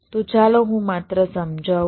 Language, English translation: Gujarati, so let me try to explain